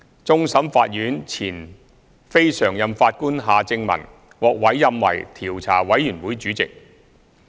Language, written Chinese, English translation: Cantonese, 終審法院前非常任法官夏正民獲委任為調查委員會主席。, Mr Justice Michael John HARTMANN former Non - Permanent Judge of the Court of Final Appeal has been appointed as Chairman of the Commission